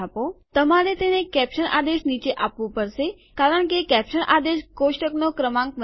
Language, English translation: Gujarati, You have to give it below the caption command because it is the caption command that creates the table number